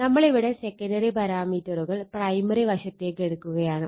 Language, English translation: Malayalam, So, who will take the secondary parameter to the primary side